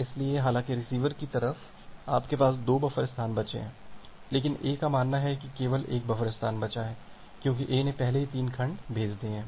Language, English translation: Hindi, So, although at the receiver side, you have 2 buffer space left, but A thinks that there are only one buffer space left because A has already sent 3 segments